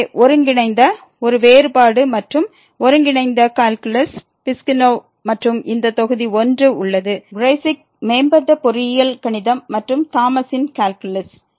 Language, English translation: Tamil, So, the integral a Differential and Integral calculus by Piskunov and this is Volume 1; the Kreyszig Advanced Engineering Mathematics and also the Thomas’ Calculus